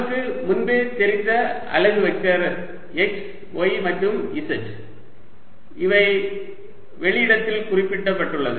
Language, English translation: Tamil, unit vectors we already know are x, y and z and these are fixed in space